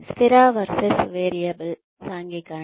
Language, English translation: Telugu, Fixed versus variable socialization